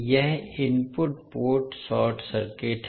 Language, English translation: Hindi, That is input ports short circuited